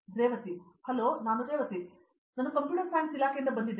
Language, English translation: Kannada, Hi I am Revathi, I am from the Department of Computer Science